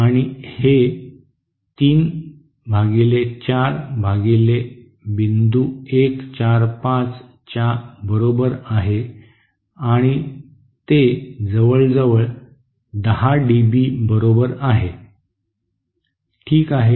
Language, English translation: Marathi, And that is equal to 3 upon 4 point upon point 1 4 5 and that is nearly equal to 10 dB, okay